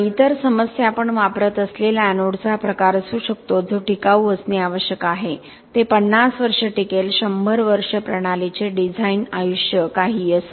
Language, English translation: Marathi, And other issues may be the type of anode that we use that has got to be durable, it got to last 50 years, 100 years whatever the design life of the system might be